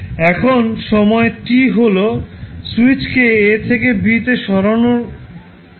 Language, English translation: Bengali, Now, at t is equal to switch is moved from a to b